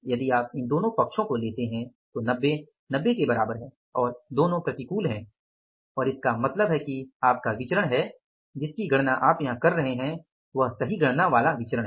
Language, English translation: Hindi, If you take these two sides 90 is equal to 90 both are adverse and it means your variances which you have calculated here is they are the correctly calculated variances so it means our variances are correct